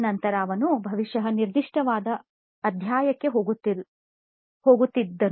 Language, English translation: Kannada, Then he probably would be going to the specific chapter